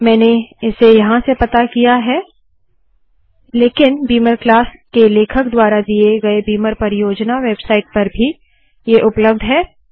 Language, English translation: Hindi, I located it at this point but it is also available through this beamer project website by the author of beamer class